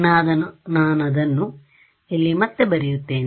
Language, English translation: Kannada, So, I just rewrite it over here